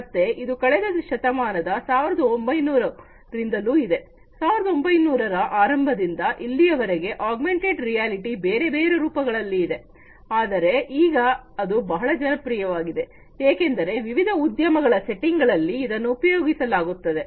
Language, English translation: Kannada, So, it has been there since the last century 1900 early 1900 till recently augmented reality in different forms was there, but now it has become much more popular, because of its use in different industry settings and different other settings, as well